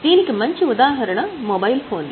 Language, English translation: Telugu, I think the best example is our mobile phones